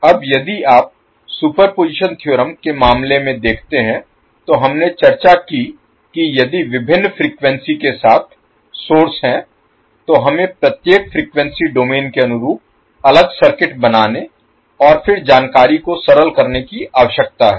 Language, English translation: Hindi, Now, if you see in case of superposition theorem we discussed that if there are sources with different frequencies we need to create the separate circuits corresponding to each frequency domain and then process the information